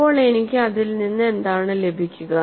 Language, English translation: Malayalam, So, what I get out of it